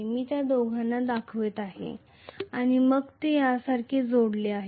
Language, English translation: Marathi, So I am showing both of them and then they are connected like this, this is how it is, right